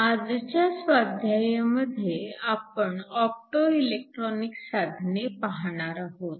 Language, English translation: Marathi, In today’s assignment, we are going to look at optoelectronic devices